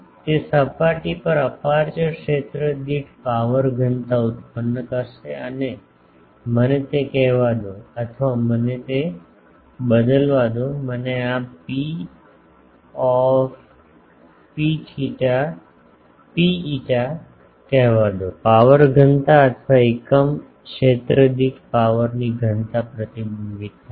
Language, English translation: Gujarati, It will produce a power density per aperture area in the surface and let me call that or let me change it that let me call this P rho phi, is the power density reflected to power density or power per unit area